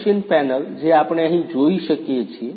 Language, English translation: Gujarati, CNC machine panel which we can see here